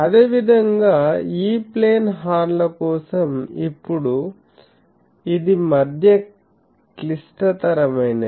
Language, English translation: Telugu, Similarly, for E plane horns, now it is a mid complicate this